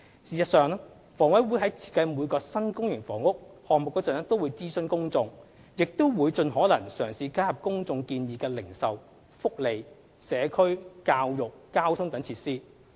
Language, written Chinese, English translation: Cantonese, 事實上，房委會在設計每個新公營房屋項目時都會諮詢公眾，亦會盡可能嘗試加入公眾建議的零售、福利、社區、教育、交通等設施。, In fact HA would consult the public when designing each new public housing project and try to include as far as practicable various facilities suggested by the public such as retail welfare community education transport etc